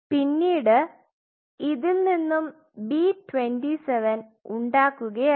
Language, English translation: Malayalam, And he further took it make it B27